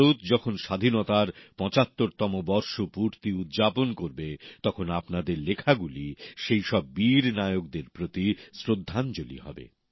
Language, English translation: Bengali, Now, as India will celebrate 75 years of her freedom, your writings will be the best tribute to those heroes of our freedom